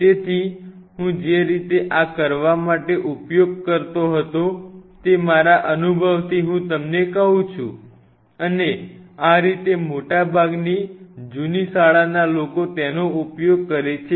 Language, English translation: Gujarati, So, the way I used to do it this is from my experience I am telling you and this is how and most of the old school people use to do it